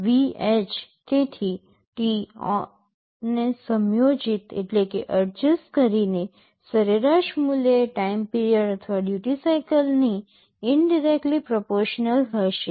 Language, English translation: Gujarati, So, by adjusting t on the average value will be becoming proportional to the on period or the duty cycle indirectly